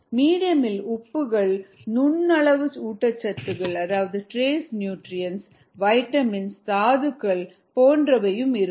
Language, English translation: Tamil, the medium could contain trace nutrients such as vitamins, minerals and so on